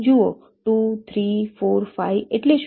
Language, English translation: Gujarati, see: two, three, four, five means what